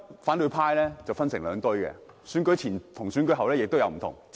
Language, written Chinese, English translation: Cantonese, 反對派現時分成了兩批，選舉前和選舉後出現了變化。, The opposition camp is now divided into two factions and such a change took place before and after the nomination